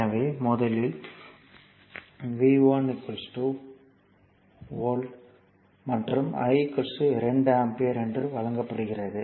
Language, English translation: Tamil, So, first one is given V 1 is equal to 1 volt and I is equal to 2 ampere